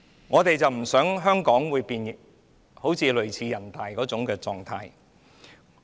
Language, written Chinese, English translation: Cantonese, 我們不希望香港變成人大的狀態。, We do not hope to see Hong Kong being converted to the state of NPC